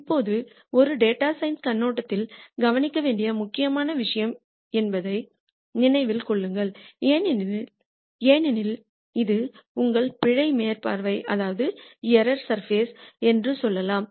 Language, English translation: Tamil, Now, remember this is something important to note particularly from a data science viewpoint because let us say this is your error surface